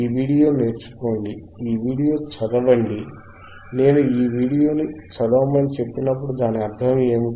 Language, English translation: Telugu, lLearn this video, read this video, when I say read this video what does that mean,